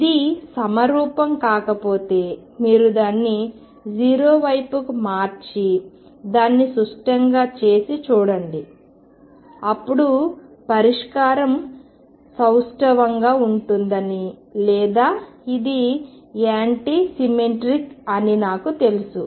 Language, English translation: Telugu, If it is not symmetric see if you shift it towards 0 and make it symmetric then I know that the solution is either symmetric or it is anti symmetric